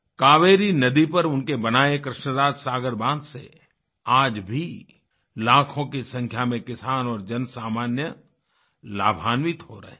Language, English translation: Hindi, Lakhs of farmers and common people continue to benefit from the Krishna Raj Sagar Dam built by him